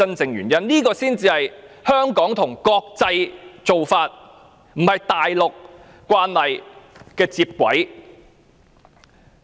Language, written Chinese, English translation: Cantonese, 這樣，香港才是依循國際做法，而不是與大陸慣例接軌。, Only by so doing can Hong Kong follow the international practice rather than toeing the line of the Mainland